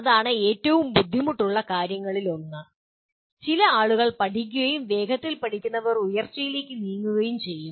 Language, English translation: Malayalam, That is the one of the toughest things to do and some people learn and those who learn fast will move up in the ladder